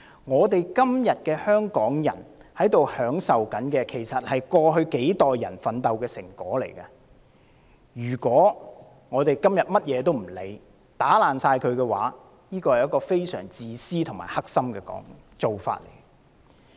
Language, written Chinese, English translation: Cantonese, 香港人今天享有的一切，是過去數代人奮鬥的成果，今天不顧一切將之全數破壞，是一種非常自私和惡毒的做法。, All things that Hong Kong people enjoy nowadays are hard - earned achievements made through the struggle of several generations of people in the past and it is very selfish and vicious to destroy them all at all costs today